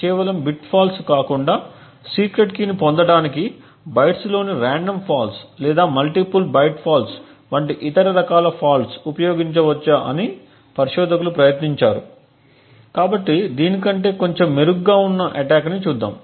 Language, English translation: Telugu, Instead of having a bit fault the researchers have tried to find out whether other kinds of faults such as random faults in bytes or multiple byte falls can be exploited to obtain the secret key, so let us see an attack which is slightly better than this one